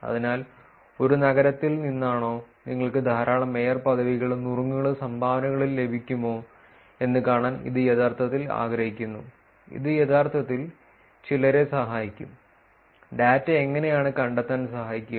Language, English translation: Malayalam, So, it is actually wanted to see whether from a city, whether you are able to get a lot of mayorship, tips and dones, this can actually help some, help find out how the data is